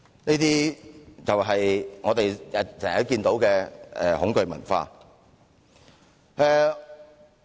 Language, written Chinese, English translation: Cantonese, 這種就是我們經常看到的恐懼文化。, This is the culture of fear that we often see